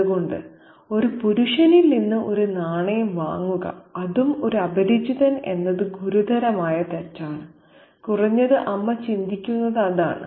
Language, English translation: Malayalam, So, to get a coin from a man and that to a stranger is something that is a serious mistake, at least that's what the mother thinks